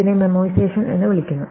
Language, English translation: Malayalam, So, it is called memoization